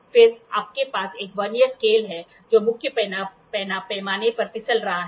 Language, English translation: Hindi, Then you have a Vernier scale that is sliding on a main scale